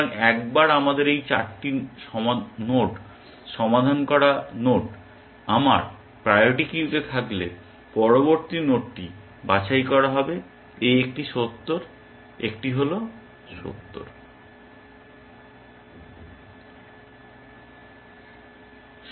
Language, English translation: Bengali, this 4 solved nodes in my, in the priority queue, the next node that will get picked is this one 70, one is 70